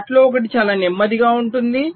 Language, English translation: Telugu, some of them can be stable